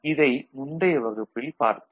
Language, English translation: Tamil, This we discussed in the last class